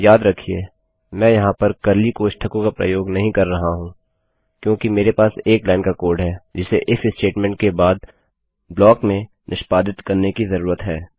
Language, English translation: Hindi, Remember, Im not using curly brackets here because I have one line of code that needs to be executed in the block after the IF statement Therefore I just need one line code because it looks neat